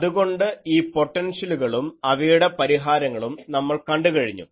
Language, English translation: Malayalam, So, we have seen these potentials their solutions